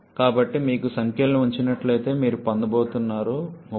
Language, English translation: Telugu, So, if you put the numbers you are going to get 3487